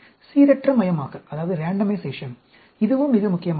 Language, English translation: Tamil, Randomization, this is also very important